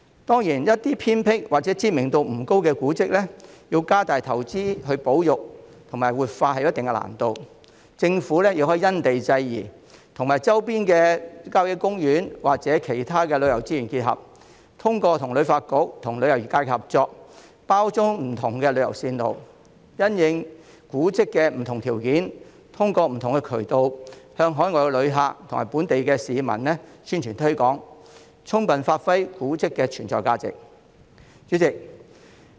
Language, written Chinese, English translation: Cantonese, 當然，對於一些偏僻或知名度不高的古蹟，要加大投資進行保育和活化確實有一定難度，政府亦可因地制宜，結合周邊的郊野公園或其他旅遊資源，通過與香港旅遊發展局及旅遊業界合作，將古蹟包裝成不同的旅遊路線，並因應古蹟的特點，藉各種渠道向海外旅客及本地市民宣傳和推廣，使古蹟的存在價值得以充分發揮。, Surely it is indeed difficult to make additional investment in the conservation and revitalization of some remote or less well - known heritage sites . Nevertheless the Government may take into account the local conditions and combine the surrounding country parks and other tourism resources to package the heritage sites into tourist routes in collaboration with the Hong Kong Tourism Board and the tourism industry . They can then be promoted to overseas and local visitors according to their characteristics through various channels so as to give full play to their potentials